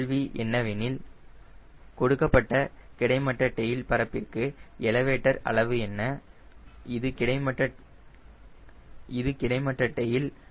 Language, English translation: Tamil, question will be: how much would be the elevator size for a given horizontal tail area